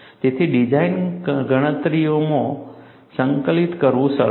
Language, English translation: Gujarati, So, easy to integrate in design calculations